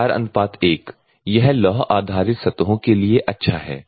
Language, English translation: Hindi, 4 : 1 you can go for good for ferrous surfaces